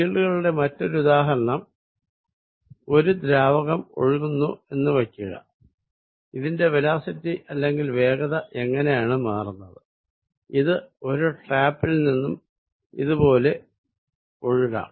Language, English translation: Malayalam, Another example of field is going to be, suppose there is fluid flowing and I try to see, how the velocity of this fluid is changing, this may be coming out of what a tap here and fluid may flow like this